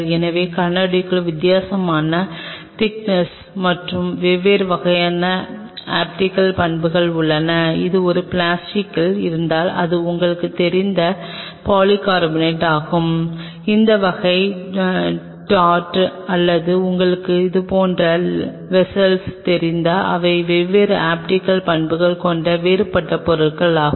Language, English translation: Tamil, So, glass has a different kind of thickness and different kind of optical properties where is if it is on a plastic which is basically polycarbonate like you know, this kind of t a t or whatever like you know vessels they are different material with the different optical properties